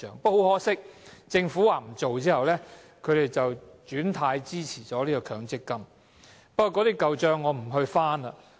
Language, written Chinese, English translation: Cantonese, 不過，很可惜，政府說不做後，他們便"轉軚"支持強積金，我不翻這些舊帳了。, But sadly after the Government had rejected the idea they changed to supporting the MPF System